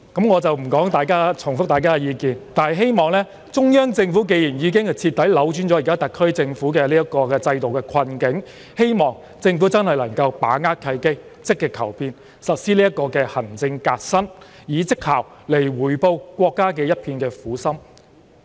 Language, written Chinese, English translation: Cantonese, 我不重複大家的意見了，但既然中央政府已經徹底扭轉現時特區政府的制度困境，希望政府真的能夠把握契機，積極求變，實施行政革新，以績效來回報國家的一片苦心。, I am not going to repeat Members views . But since the Central Government has completely turned the tide in favour of the SAR Government which was once trapped in difficulties arising from the constitutional system I really hope the Government can seize the opportunity to actively make changes and implement administrative reforms with a view to repaying the painstaking efforts made by the country with great achievements